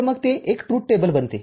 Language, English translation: Marathi, So, then it becomes a truth table